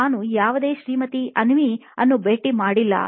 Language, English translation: Kannada, I have not met any Mrs Avni